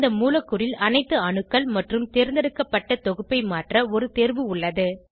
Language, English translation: Tamil, We have an option to modify all the atoms in the molecule or a select set